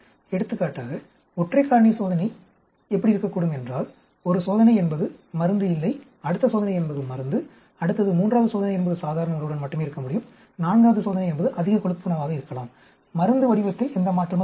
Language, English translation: Tamil, For example, single factor experiment could be, one experiment be no drug, next experiment could be drug, next, third experiment could be only with normal diet, fourth experiment could be high fat diet, no change in the drug pattern